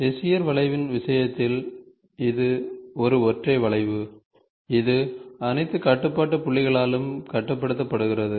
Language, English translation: Tamil, In the case of Bezier curve it is a single curve, controlled by all the control points, there’s only a single curve